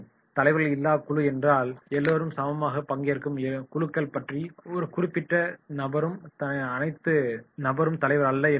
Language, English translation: Tamil, Leaderless group means are those groups where everyone is the equally participant and not the any particular person is the leader